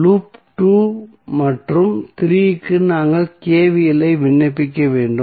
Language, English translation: Tamil, So, for loop 2 if you apply KVL what will happen